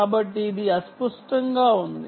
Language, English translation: Telugu, so this is getting blurred